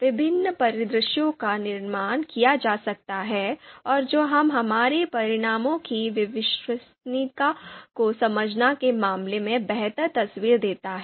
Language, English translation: Hindi, So different scenarios can be created and that gives us a that creates us a better picture in terms of understanding the reliability of our results